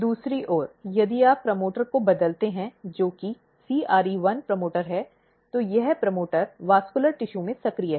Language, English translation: Hindi, On the other hand, if you change the promoter, which is CRE1 promoter, this promoter is active in the vascular tissue